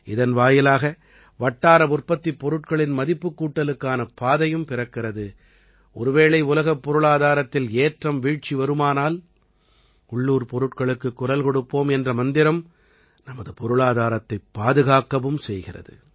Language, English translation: Tamil, This also paves the way for Value Addition in local products, and if ever, there are ups and downs in the global economy, the mantra of Vocal For Local also protects our economy